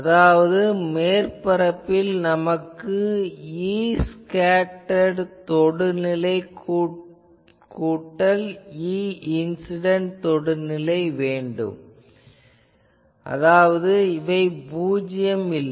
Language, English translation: Tamil, That means on the surface actually we want that E scattered tangential plus E incident tangential; that means, that is not becoming 0